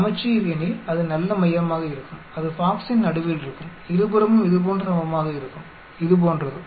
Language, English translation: Tamil, Symmetric means, it will be nice centered, it will be in the middle of the box, both sides equal like this, like this